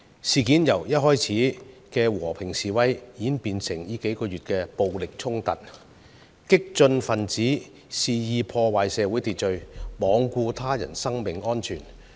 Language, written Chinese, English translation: Cantonese, 事件由最初的和平示威，演變至近數月的暴力衝突，激進分子肆意破壞社會秩序，罔顧他人生命安全。, The incident evolved from the initial peaceful demonstrations to violent clashes in recent months with radical elements wantonly disrupting social order and disregarding the safety of others lives